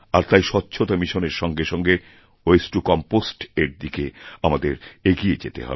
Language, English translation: Bengali, It is, therefore, imperative that we need to move towards 'Waste to Compost' along with the Cleanliness Mission